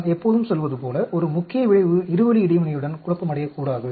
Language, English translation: Tamil, As I have been telling always a main effect should not be confounded with two way interaction